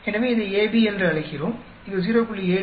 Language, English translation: Tamil, So, we call this as AB, which is 0